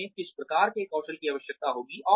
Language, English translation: Hindi, What kinds of skills, will they need